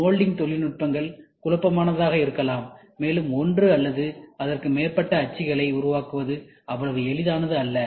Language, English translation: Tamil, Molding technologies can be messy, and obviously requires the building of more one or more molds, because it is not so easy right